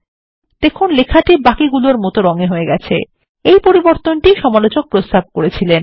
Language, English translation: Bengali, You will see that the text becomes normal which is the change suggested by the reviewer